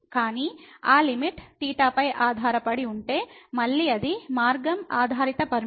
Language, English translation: Telugu, But if that limit is depending on theta, then again it is a path dependent limit